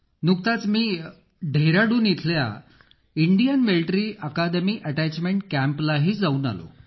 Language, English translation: Marathi, I recently was a part of the attachment camp at Indian Military Academy, Dehradun